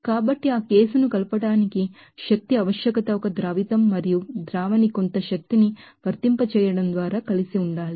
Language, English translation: Telugu, So, energy requirement for mixing that case a solute and solvent have to mix together by applying some energy